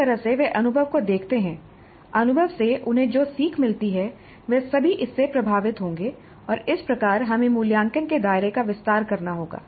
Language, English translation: Hindi, So they will look at the experience, the learning the gain from the experience will all be influenced by this and thus we have to expand the scope of assessment